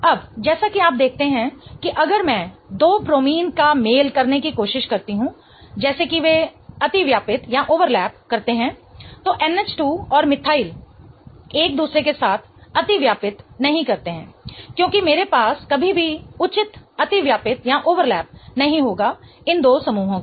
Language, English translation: Hindi, Now as you see that if I try to match the two bromine such that they overlap, NH2 and methyl do not overlap with each other in either case, right